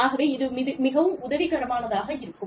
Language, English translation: Tamil, And, it is very helpful